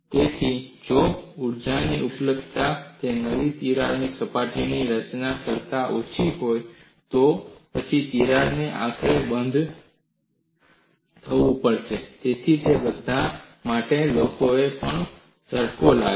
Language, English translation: Gujarati, So, if the energy availability is less than for the formation of two new cracks surfaces, then crack has to eventually come to a stop; so, for all that, people tweaked on this